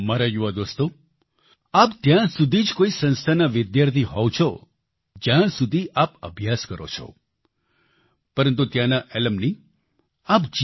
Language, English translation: Gujarati, My young friends, you are a student of an institution only till you study there, but you remain an alumni of that institution lifelong